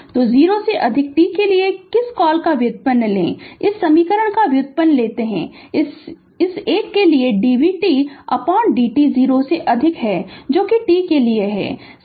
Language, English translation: Hindi, So, you take the derivative of your what you call ah your for t greater than 0, you take the derivative of this equation that dv t by dt for this 1 for t greater than 0